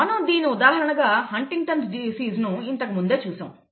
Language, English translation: Telugu, We have already seen an example of Huntington’s disease earlier